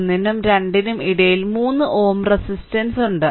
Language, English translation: Malayalam, 1 and 2 the 3 ohm resistance is there